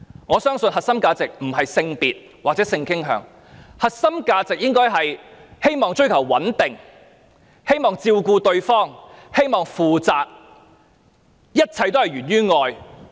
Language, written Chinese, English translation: Cantonese, 我相信並非在於性別或性傾向，而是追求穩定的關係，希望照顧對方及對其負責，一切皆源於愛。, I think it does not lie in the gender or sexual orientations but in the aspirations for building up a stable relationship and the hope to take care of and be responsible to the partner . Everything comes from love